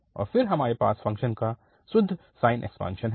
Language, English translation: Hindi, And then we have the pure sine expansion of the function